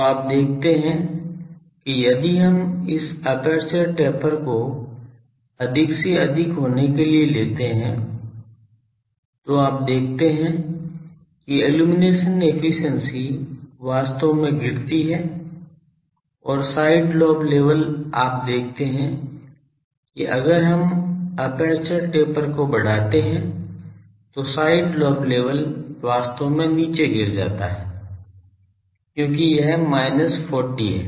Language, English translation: Hindi, So, you see that if we take the this aperture taper to be more and more for then you see that illumination efficiency that actually falls and side lobe level you see that if we increase the aperture taper the side lobe level actually goes down because this is minus 40